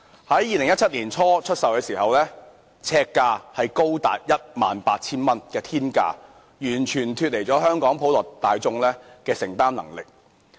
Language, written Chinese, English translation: Cantonese, 在2017年年初出售時，呎價高達天價 18,000 元，完全脫離了香港普羅大眾的承擔能力。, When the housing units were first for sale in early 2017 the price was as exorbitant as 18,000 per sq ft which is far beyond what the general Hong Kong people can afford